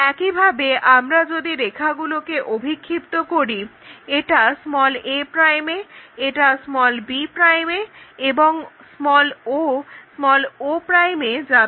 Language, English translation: Bengali, Same thing if we are projecting the lines it goes to a', this one goes to b' and o goes to o'